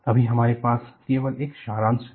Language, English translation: Hindi, Right now, we only have a short summary